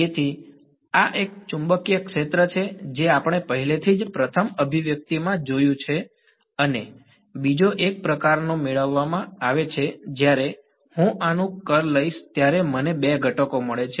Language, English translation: Gujarati, So, this is the magnetic field which we already saw first expression and the second is obtained a sort of when I take the curl of this I get two components